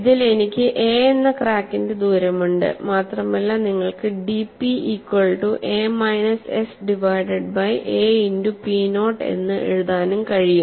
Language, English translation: Malayalam, The overall problem is given, in this I have a distance of crack as a and it is possible for you to write dP equal to a minus s divided by a multiplied by p naught